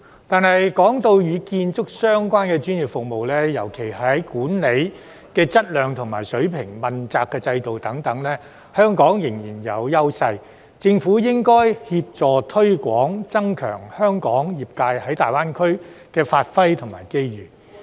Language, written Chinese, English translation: Cantonese, 但是，若論與建築相關的專業服務，尤其是在管理的質量和水平、問責制度等，香港仍然具有優勢，所以政府應該協助推廣，增加香港業界在大灣區的發揮和機遇。, However if we talk about construction - related professional services Hong Kong still has its advantages particularly in terms of the quality and standard of management accountability regime etc . Therefore the Government should help promote and strive for Hong Kongs professional sectors for wider scope and more opportunities for development in the Guangdong - Hong Kong - Macao Greater Bay Area GBA